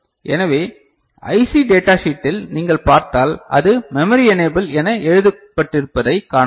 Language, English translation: Tamil, So, in the IC data sheet if you see, you can see that it is written as memory enable ok